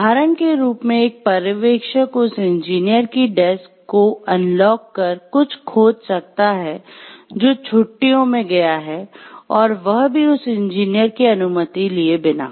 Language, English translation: Hindi, Examples could be a supervisor unlocks and searches the desk of an engineer who is away on vacation without the permission of that engineer